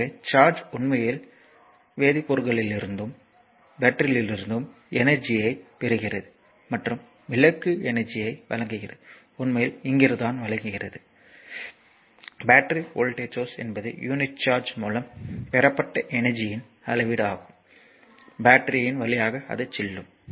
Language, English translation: Tamil, So, the charge actually gains energy from the chemicals and your in the battery and delivers energy to the lamp the actually the from here actually energy is coming to the lamp right and the battery voltage is a measure of the energy gained by unit of charge as if moves through the battery